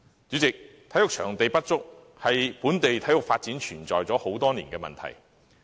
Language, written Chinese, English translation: Cantonese, 主席，體育場地不足，是本地體育發展存在多年的問題。, President the lack of sufficient sports venues is an age - old problem hindering local sports development